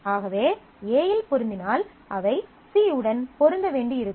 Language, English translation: Tamil, So, if the match on A, then necessarily they may have to match on C